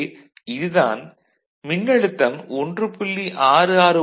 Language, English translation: Tamil, So, any voltage greater than 1